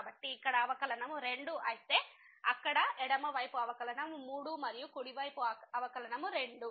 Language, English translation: Telugu, So, here the derivative is 2 whereas, there the left side derivative is 3 and the right side derivative is 2